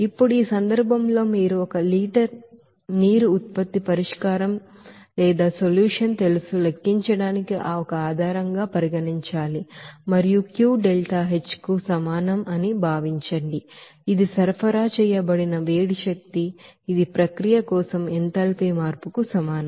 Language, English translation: Telugu, Now in this case you have to consider a basis of calculation one liter of you know the product solution and assume Q will be is equal to delta H that is heat energy supplied that will be is equal to enthalpy change for the process